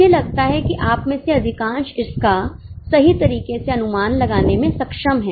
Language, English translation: Hindi, I think most of you are able to guess it correctly